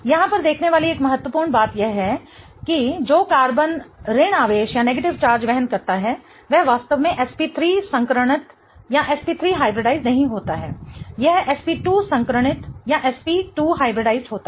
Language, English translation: Hindi, Okay, one key things to look at here is that the carbon that bears that negative charge is not really SP3 hybridized, it is SP2 hybridized